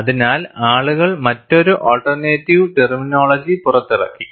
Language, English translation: Malayalam, So, people have come out with another alternate terminology